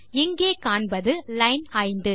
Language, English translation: Tamil, It says here line 5